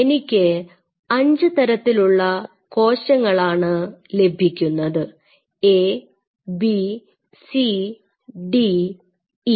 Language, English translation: Malayalam, So, there are 5 cell types say for example, I am getting A B C D E